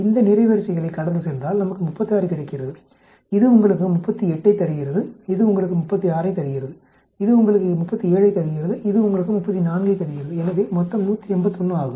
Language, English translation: Tamil, If you go across these rows we get 36, this gives you 38, this gives you 36, this gives you 37, this gives you 34 so the grand total is 181